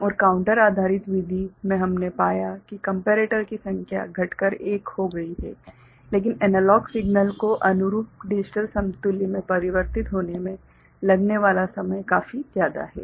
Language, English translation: Hindi, And in the counter based method we found that the number of comparator reduces to 1, but the time taken to convert, an analog signal to corresponding digital equivalent is quite large